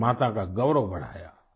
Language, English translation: Hindi, They enhanced Mother India's pride